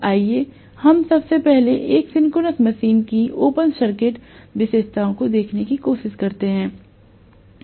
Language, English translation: Hindi, Let us try to first of all, look at the open circuit characteristics of a synchronous machine